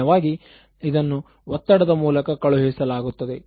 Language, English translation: Kannada, Usually it is sent in the form of stress